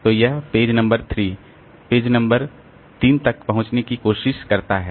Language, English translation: Hindi, So, it is trying to access page number 3, frame number 3